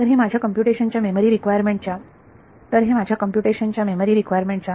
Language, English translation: Marathi, So, what does that tell you in terms of the memory requirements of my computation